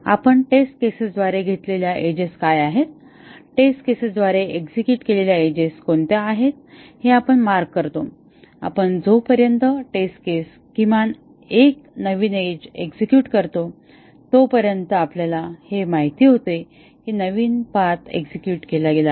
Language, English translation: Marathi, We mark what are the edges that are taken by the test cases, what are the edges that are executed by the test cases, and as long as the test case execute at least one new edge we know that a new path has been executed